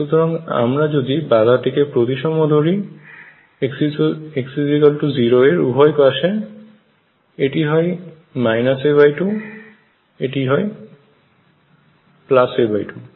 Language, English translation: Bengali, So, if I consider the barrier to be symmetric about x equals 0, this is minus a by 2 this is a by 2